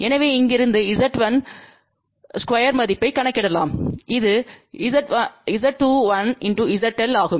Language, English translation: Tamil, So, from here we can calculate the value of Z1 square which is Z in 1 into ZL